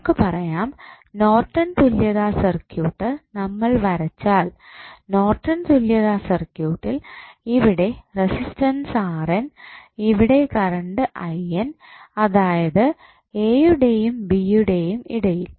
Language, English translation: Malayalam, We can say that the Norton's equivalent circuit if you draw Norton's equivalent circuit here the resistance R N, current I N that is between a, b